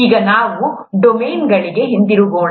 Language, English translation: Kannada, Now let’s get back to domains